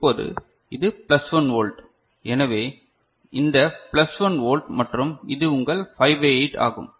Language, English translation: Tamil, Now, this is plus 1 volt; so, this plus 1 volt and this is your 5 by 8